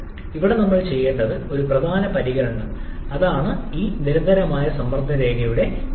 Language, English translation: Malayalam, One important consideration that we must do here that is the slope of this constant pressure line